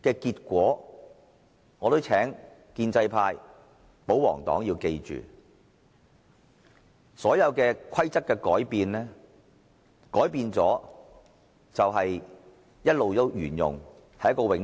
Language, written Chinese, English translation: Cantonese, 建制派、保皇黨議員必須明白，規則改變後，便會一直沿用下去。, The pro - establishment royalist Members must understand that the Rules once changed will be in place afterward